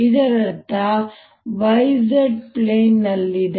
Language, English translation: Kannada, this means e zero is in the y z plane